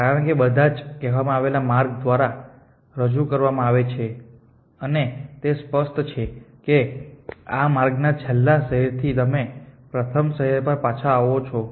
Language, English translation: Gujarati, Because if all the told represented by path and it is implicit that from the last city in the path you come back the first city